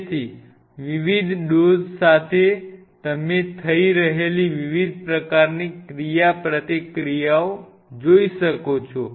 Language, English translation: Gujarati, So, with different dosage you can see different kind of interactions which are happening